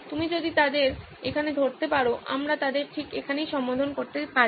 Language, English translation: Bengali, If you can catch them here, we can even address them right here